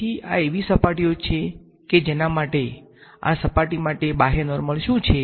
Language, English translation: Gujarati, So, these are surfaces for which the, what is the outward normal for this surface